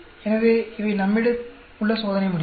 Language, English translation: Tamil, So, these are the experimental results we have